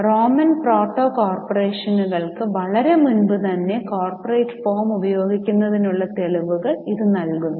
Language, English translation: Malayalam, Now, this provides the evidence for the use of corporate form for a very long time much before the Roman proto corporations